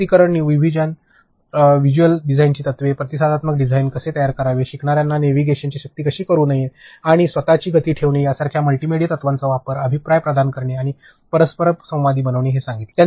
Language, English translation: Marathi, Use of multimedia principles like personalization, segmentation, visual design principles, how to make responsive design, how to not force a navigation on learner’s and keeping it self paced; providing feedback and making it interactive